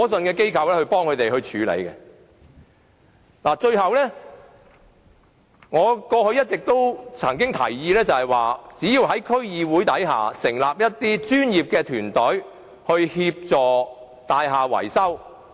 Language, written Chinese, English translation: Cantonese, 最後，我想指出，過去我一直提議，在區議會下成立一些專業團隊協助大廈維修。, The last point I wish to make is that I have been proposing the establishment of some professional teams under the District Councils to provide assistance in building maintenance